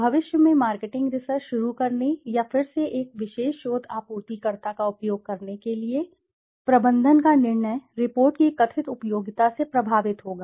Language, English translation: Hindi, Management s decision to undertake marketing research in the future or to use a particular research supplier again will be influenced by the perceived usefulness of the report